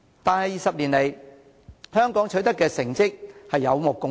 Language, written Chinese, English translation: Cantonese, 但是 ，20 年來，香港取得的成績有目共睹。, However everyone has witnessed Hong Kongs achievements in these 20 years